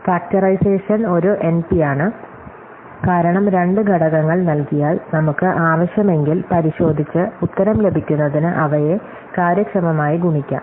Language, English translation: Malayalam, Factorization is in NP, because given two factors; we can multiply them efficiently to get the answer, if we want and check